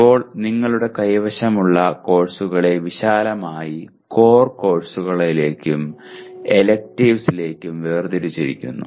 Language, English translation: Malayalam, Now, courses that you have are broadly classified into core courses and electives